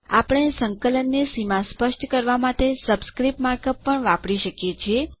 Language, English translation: Gujarati, We can also use the subscript mark up to specify Limits of an integral